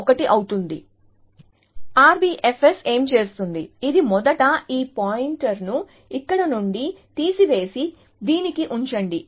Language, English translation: Telugu, So, what immediately R B F S will do is, it first removes this pointer from here, and put it to this